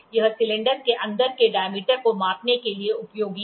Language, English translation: Hindi, It is useful for measuring inside diameter of a cylinder